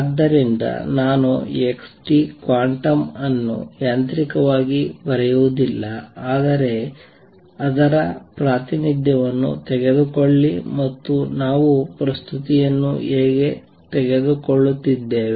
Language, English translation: Kannada, So, I am not going to write an xt quantum mechanically do not write x t, but rather take its representation and how are we taking the presentation